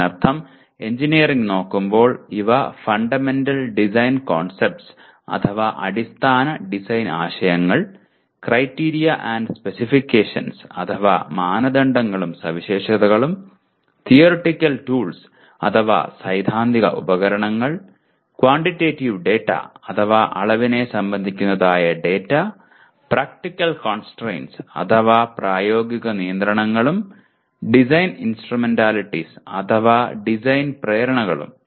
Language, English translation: Malayalam, That means looking at engineering per se these are Fundamental Design Concepts; Criteria and Specifications; Theoretical Tools; Quantitative Data; Practical Constraints and Design Instrumentalities